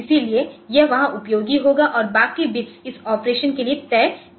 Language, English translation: Hindi, So, it will be useful there and rest of the bits are fixed for this operation